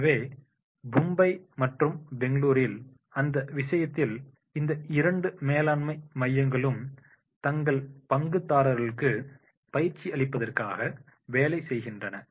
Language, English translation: Tamil, And therefore in that case, in Mumbai and Bangalore in India, these two management training centers, they are working for the providing the training to their stakeholders